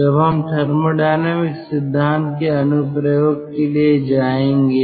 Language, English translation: Hindi, now we will go for the application of thermodynamic principle